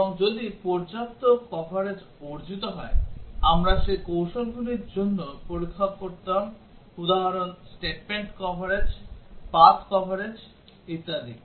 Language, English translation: Bengali, And if sufficient coverage is achieved, we would have performed testing for those strategies examples are statement coverage, path coverage etcetera